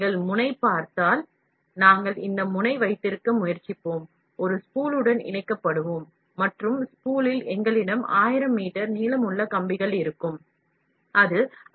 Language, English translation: Tamil, If you look the nozzle, we will try to have this nozzle, will be attached to a spool, this spool will be continuously and in the spool, we will have something like 1000 meters long wires, which is pass through it, ok